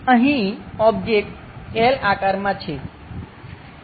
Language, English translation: Gujarati, Here the object is something like in L shape